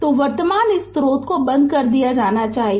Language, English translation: Hindi, So, current source it should be turned off